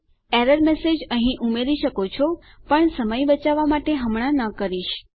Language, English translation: Gujarati, You can add your own error message in here but to save time, I am not going to right now